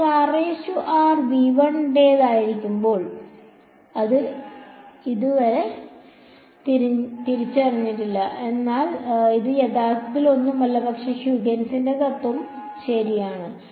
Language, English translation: Malayalam, So, when r prime belongs to v 1 you do not recognize it yet, but this is actually nothing, but Huygens’s principle ok